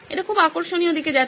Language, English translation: Bengali, Very interesting direction this is going